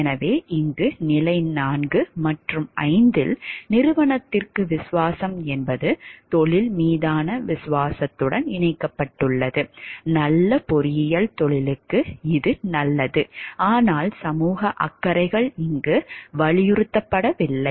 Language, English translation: Tamil, So, here in stage 4 and 5 loyalty to company is connected to the loyalty to the profession, good engineering is good for the profession but the societal concerns are not emphasized over here